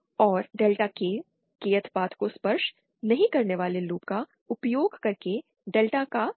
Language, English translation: Hindi, And delta K is thoseÉ is the value of delta using loops not touching the Kth path